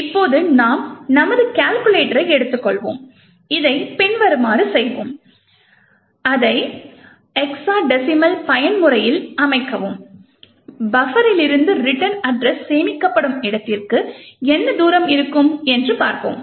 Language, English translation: Tamil, Now we would take our calculator we can do this as follows set it to the hexadecimal mode and we would see what is the distance from the buffer to where the return address is stored